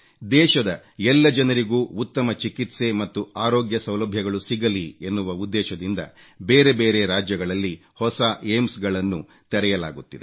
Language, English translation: Kannada, New AIIMS are being opened in various states with a view to providing better treatment and health facilities to people across the country